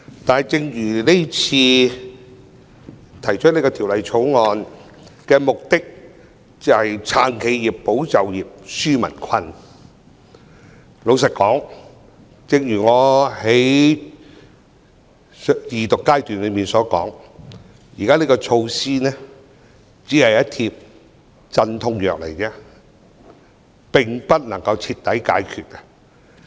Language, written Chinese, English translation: Cantonese, 但是，提出《條例草案》的目的，是要"撐企業、保就業、紓民困"，老實說，正如我在《條例草案》恢復二讀時所說，現時的措施只是一帖鎮痛藥，並不能夠徹底解決問題。, But the purpose of the Bill is to support enterprises safeguarding jobs relieving peoples livelihood . Frankly like what I said at the resumption of the Second Reading of the Bill this measure is only a painkiller . It cannot solve the problem once and for all